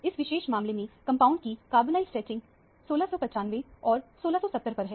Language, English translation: Hindi, The compound has a carbonyl stretching frequency at 1695 and 1670 in this particular case